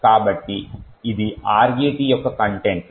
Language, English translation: Telugu, So, this would be the contents of RET